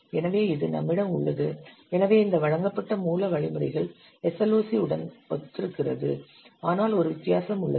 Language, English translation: Tamil, So that we have which is so this delivered source instructions is very much similar to SLOC but there is one difference